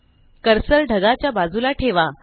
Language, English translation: Marathi, Now place the cursor next to the cloud